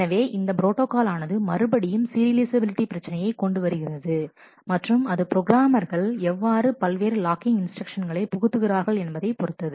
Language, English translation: Tamil, This protocol again issuers serializability and the it certainly depends on the programmer as to how the programmer inserts the various locking instructions